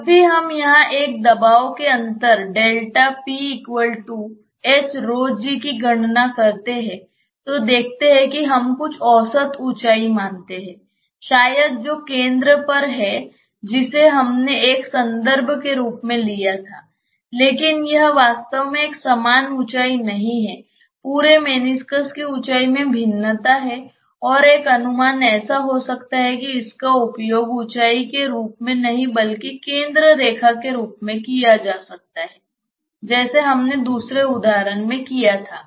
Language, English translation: Hindi, See whenever we calculated the pressure difference here delta p as h rho g that h we assume some average height maybe the centre one we took as a reference, but it is not actually a uniform height, the entire meniscus has a variation in height and one of the approximations may be that not to use this as the height, but use the centre line one instead just like what we did in the other example